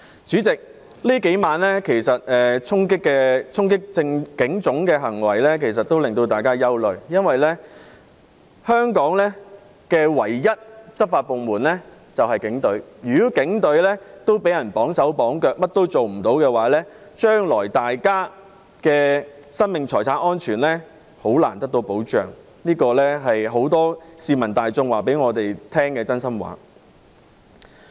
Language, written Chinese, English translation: Cantonese, 主席，這數晚衝擊警察總部的行為其實令大家憂慮，因為香港唯一的執法部門便是警隊，如果警隊也被綁手綁腳，甚麼也做不到，將來大家的生命和財產安全便很難得到保障，這是很多市民大眾告訴我們的真心話。, President the charging acts at the Police Headquarters these few nights are indeed worrying . Since the Police Force is the only law enforcement authority in Hong Kong if the hands of police officers are tied our lives and properties can hardly be protected in the future . That is what many members of the public have frankly told me